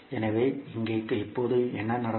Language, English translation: Tamil, So here now what will happen